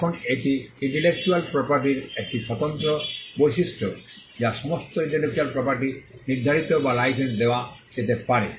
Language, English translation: Bengali, Now this is a distinguishing feature of intellectual property, that all intellectual property can be assigned or licensed